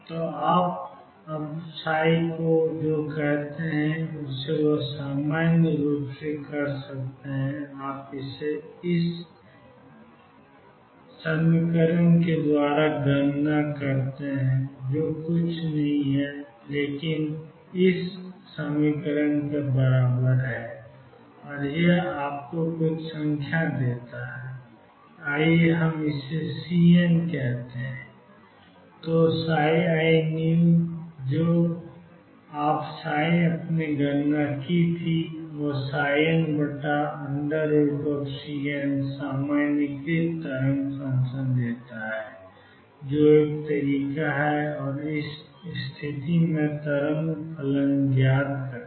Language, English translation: Hindi, So, now, you normalize psi what you do you calculate integral psi mod square d x 0 to L which will be nothing, but summation i mod psi square delta x i equals 1 through n and this gives you sum number let us say C n then psi i new is equal to whatever psi you calculated earlier divided by square root of C n give the normalized wave function that is one way of finding the wave function in this case